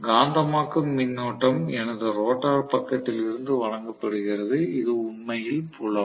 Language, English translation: Tamil, And the magnetising current is provided by whatever is my rotor side, which is actually field, right